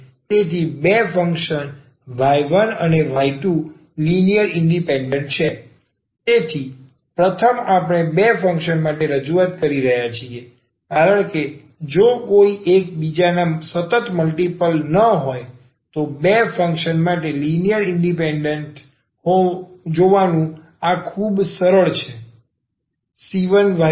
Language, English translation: Gujarati, So, two functions y 1 and y 2 are linearly independent, so first we are introducing for two functions because this is much easier to see the linear independence for two function, if one is not the constant multiple of the other